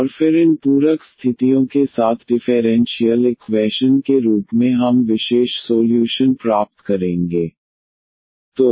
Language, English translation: Hindi, And then as differential equation together with these supplementary conditions we will get particular solutions